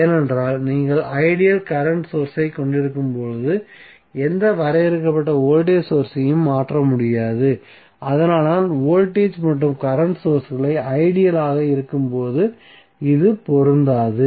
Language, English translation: Tamil, Why, because when you have ideal current source you cannot replace with any finite voltage source so, that is why, it is not applicable when the voltage and current sources are ideal